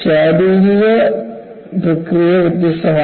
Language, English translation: Malayalam, So, the physical process is different